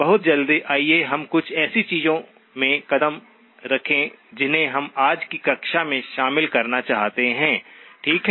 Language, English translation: Hindi, Very quickly, let us move into some of the things that we wanted to cover in today's class, okay